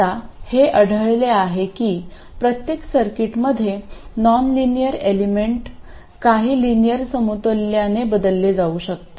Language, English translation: Marathi, It turns out that in every circuit the nonlinear element can be replaced by some linear equivalent